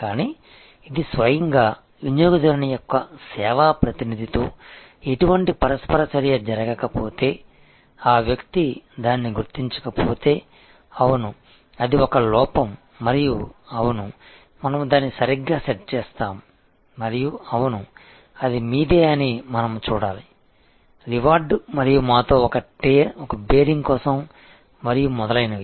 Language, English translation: Telugu, But, this in itself, if there was no interaction that happened with the customer's service representative, if that person had not recognize that, yes it is a lapse and yes, we will set it right and yes, we must see that is are your rewarded and for a bearing with us and etc